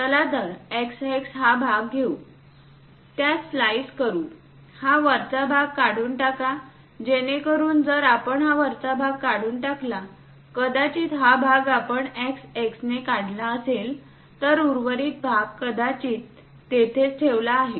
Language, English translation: Marathi, So, let us take a section x x, slice it; remove this top portion, so that if we remove that top portion, perhaps this part we have removed it by section x x and the remaining part perhaps kept it there